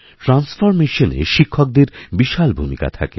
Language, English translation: Bengali, The teacher plays a vital role in transformation